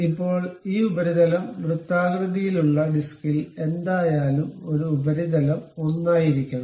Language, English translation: Malayalam, Now, this surface whatever this on the circular disc, and this surface supposed to be together